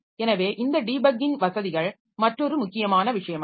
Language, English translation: Tamil, So that debugging is a very important thing